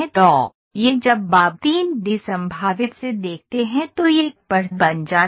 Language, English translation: Hindi, So, this when you look from 3 D prospective it becomes an edge